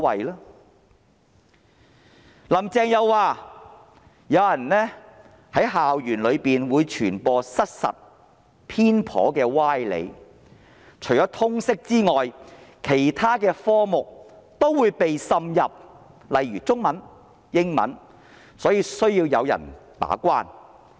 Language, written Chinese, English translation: Cantonese, "林鄭"在專訪中又說有人在校園內傳播失實、偏頗的歪理，除了通識科目外，這些歪理也會滲入其他科目，例如中文、英文等，所以需要有人把關。, Carrie LAM also said in the exclusive interview that there were people spreading false biased and specious arguments in schools and that such specious arguments would infiltrate not only Liberal Studies but also other subjects such as Chinese Language and English Language and therefore it is necessary to guard the gate